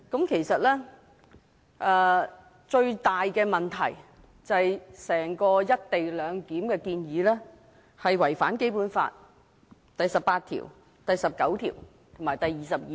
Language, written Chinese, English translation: Cantonese, 其實，最大問題是整項"一地兩檢"的建議違反《基本法》第十八條、第十九條及第二十二條。, In fact the greatest problem lies in that the whole co - location proposal violates Articles 18 19 and 22 of the Basic Law